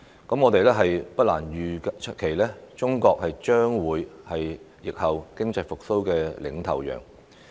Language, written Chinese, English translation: Cantonese, 我們不難預期，中國將會是疫後經濟復蘇的"領頭羊"。, It is not difficult for us to anticipate that China will take the leading role in the post - epidemic economic recovery